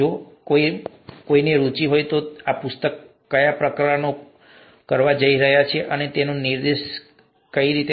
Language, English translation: Gujarati, If somebody’s interested, we can point that out to them what chapters we are going to do in this particular book